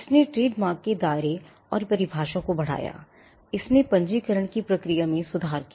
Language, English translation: Hindi, It enlarged the scope and definition of trademark; it improved the process of registration